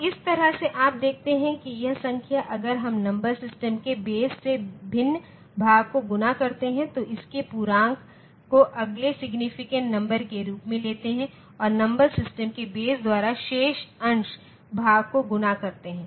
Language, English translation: Hindi, So, this way you see that this number if we multiply the fractional part by the base of the number system take the integer part of it as the next significant digit and go on multiplying the remaining fractional part by the base of the number system